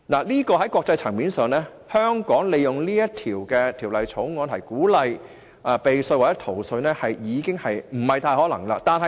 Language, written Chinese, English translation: Cantonese, 在國際層面上，香港利用《條例草案》鼓勵避稅或逃稅已屬不可能。, It is impossible for Hong Kong to use the Bill to encourage tax avoidance and tax evasion in the international community